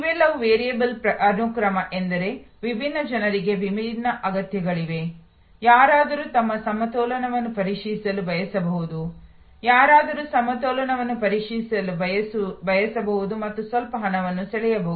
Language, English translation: Kannada, These are all variable sequence, because different people have different needs, somebody may be wanting to check their balance, somebody may want to check balance as well as draw some money